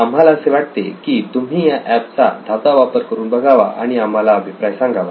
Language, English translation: Marathi, We would like you to go through this app and give any feedback if you can